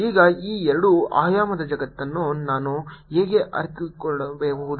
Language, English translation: Kannada, how do i realize this two dimensional world